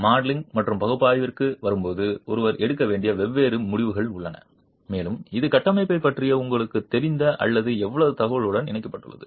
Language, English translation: Tamil, There are different decisions that one would have to take when it comes to the modeling and analysis and this is linked to how much information you know or have about the structure